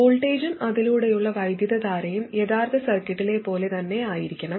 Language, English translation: Malayalam, It should be such that the voltage across it and current through it are exactly same as in the original circuit